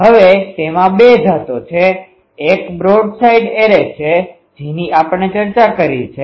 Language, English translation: Gujarati, Now, that has two varieties; one is broadside array that we have discussed